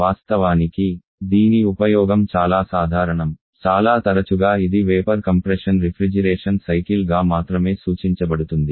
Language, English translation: Telugu, In fact, it its uses so common that quite often this is the one that is referred as a vapour compression Refrigeration cycle only